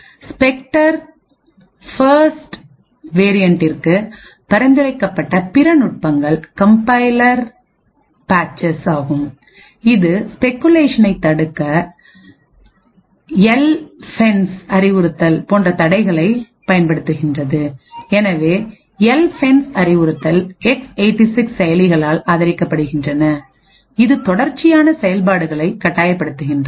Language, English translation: Tamil, Other techniques where suggested for the Spectre first variant was compiler patches a which uses barriers such as the LFENCE instruction to prevent speculation so the LFENCE instruction is supported by X86 processors which forces sequential execution